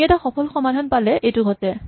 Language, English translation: Assamese, This happens when we have a successful solution